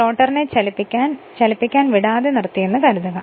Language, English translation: Malayalam, So, rotor is not moving it is stationary